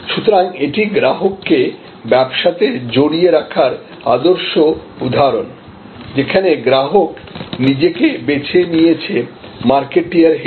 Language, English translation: Bengali, So, this is the ideal example of customer advocacy, where customer is co opted as your marketer